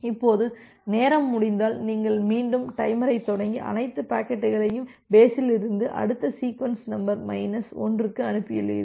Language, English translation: Tamil, Now, if a time out occurs you again start the timer and sent all the packets from base to next sequence number minus 1